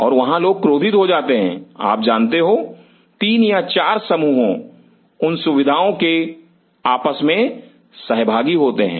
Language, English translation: Hindi, And there people will be crammed in like you know three or four groups sharing such facilities